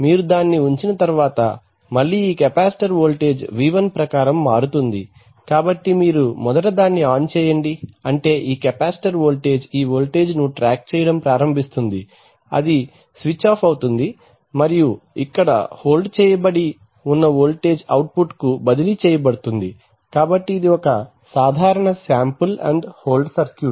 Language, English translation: Telugu, Next time you put it on, again this capacitor voltage is going to change according toV1, so you first switch it on that is a, that is the sample command this capacitor voltage starts tracking this voltage there is switch it off and this voltage is held which is transferred to the output, right so this is a typical sample and hold circuit